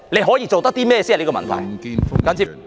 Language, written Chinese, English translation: Cantonese, 可以做甚麼才是問題。, The question is actually about what can be done